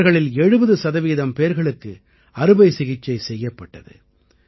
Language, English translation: Tamil, Of these, 70 percent people have had surgical intervention